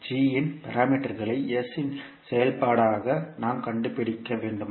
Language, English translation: Tamil, We have to find the g parameters as a function of s